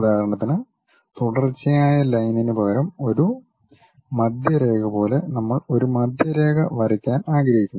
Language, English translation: Malayalam, For example, like a center line instead of a continuous line we would like to draw a Centerline